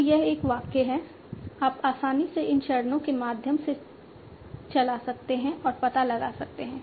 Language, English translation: Hindi, So this given a sentence you can easily run through these steps and find out